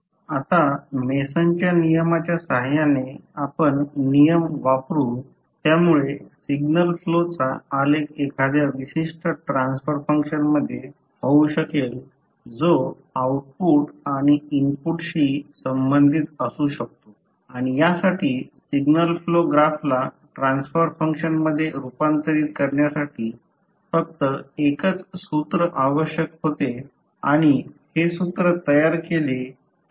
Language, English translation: Marathi, Now with the help of Mason’s rule we can utilize the rule reduce the signal flow graph to a particular transfer function which can relate output to input and this require only one single formula to convert signal flow graph into the transfer function and this formula was derived by SJ Mason when he related the signal flow graph to the simultaneous equations that can be written from the graph